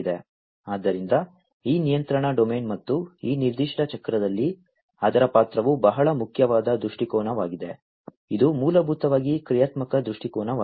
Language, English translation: Kannada, So, this control domain and it is role in this particular cycle is a very important viewpoint, which is basically the functional viewpoint